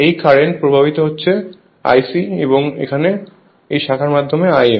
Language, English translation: Bengali, Current flowing through this is I c and through this branch is I m